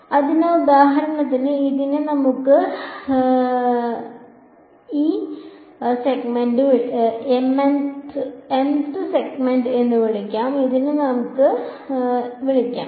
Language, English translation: Malayalam, So, for example, this let us call this m th segment and let us call this y m